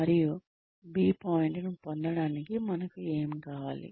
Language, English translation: Telugu, And, what do we need in order to get to point B